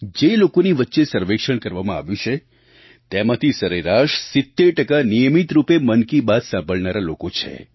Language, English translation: Gujarati, Out of the designated sample in the survey, 70% of respondents on an average happen to be listeners who regularly tune in to ''Mann Ki Baat'